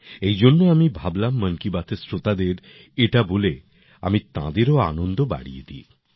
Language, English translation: Bengali, So I thought, by telling this to the listeners of 'Mann Ki Baat', I should make them happy too